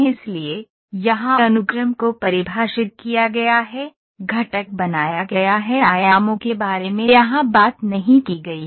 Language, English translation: Hindi, So, here the sequence is defined, the component is made the dimensions are not talked about here